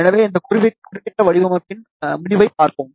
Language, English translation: Tamil, So, let us see the result of this particular design